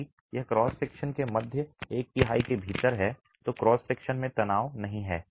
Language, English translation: Hindi, If it is within the middle one third of the cross section then there is no tension in the cross section